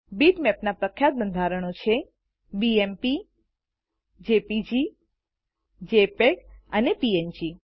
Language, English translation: Gujarati, Popular bitmap formats are BMP, JPG, JPEG and PNG